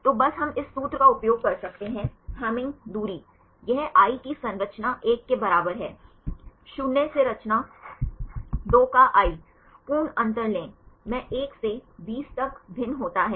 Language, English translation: Hindi, So, just we can use this formula, Hamming distance; this is equal to composition 1 of i, minus composition 2 of i; take the absolute difference, i varies from 1 to 20